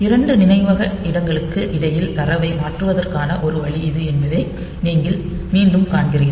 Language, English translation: Tamil, So, this is again you see that one way of transferring data between 2 memory locations